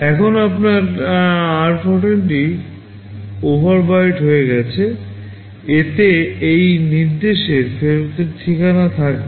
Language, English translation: Bengali, Now your r14 gets overwritten, it will contain the return address of this instruction